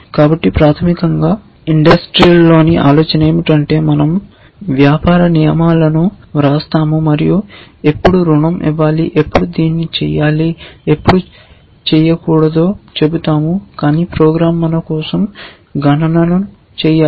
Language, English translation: Telugu, So, basically the idea in the industry is that we will write business rules, we will say when to give a loan, when to do this, when to do that, but your program must do the computations for us